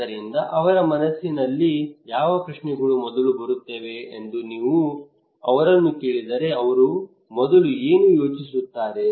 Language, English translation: Kannada, So if you ask them what questions will come first in their mind what will they think first